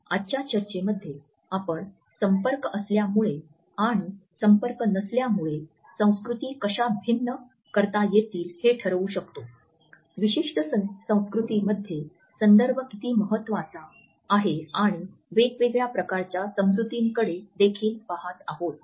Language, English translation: Marathi, In today’s discussion we would look at how cultures can be differentiated on the basis of being contact and non contact, how context is important in certain cultures where as in certain it is not and also we would look at different types of space understanding